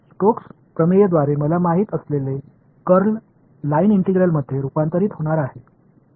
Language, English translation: Marathi, Curl I know by stokes theorem is going to convert to a line integral